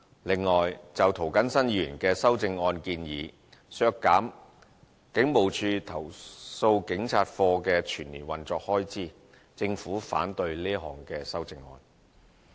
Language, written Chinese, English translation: Cantonese, 此外，就涂謹申議員的修正案建議，削減警務處投訴警察課的全年運作開支，政府反對這項修正案。, Besides Mr James TO proposes an amendment to cut the annual operating expenditure of the Complaints Against Police Office CAPO of the Hong Kong Police Force and the Government objects to this amendment